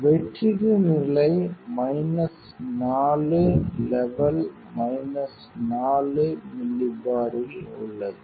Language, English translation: Tamil, So, h u that vacuum level is in minus 4 levels minus 4 millibar